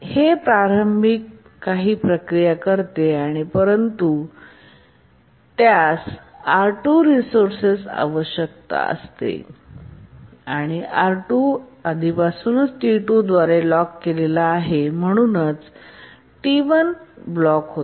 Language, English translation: Marathi, Sorry, it needs the resource R2 and R2 is already blocked by is already locked by T2 and therefore T1 gets blocked